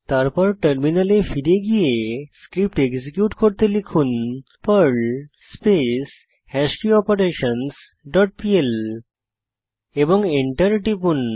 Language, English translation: Bengali, Switch to the terminal and execute the Perl script as perl hashKeyOperations dot pl and press Enter